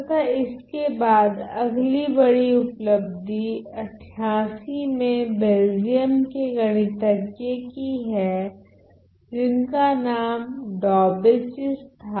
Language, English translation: Hindi, And then another big achievement was in 88 by a Belgian mathematician by the name of Daubechies